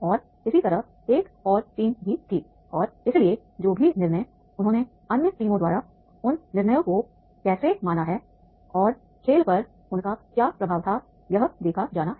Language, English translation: Hindi, And similarly there was another team also and therefore whatever the decisions are there, how they have perceived those decisions by the team and what was their impact on the game that is to be seen